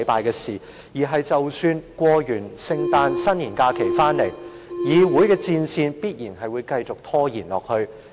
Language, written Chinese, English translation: Cantonese, 即使在聖誕和新年假期過後，立法會的這場仗必定會繼續打下去。, The battle waged in this Council will definitely continue even after the Christmas and New Year holidays